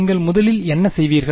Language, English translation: Tamil, So, what would you first do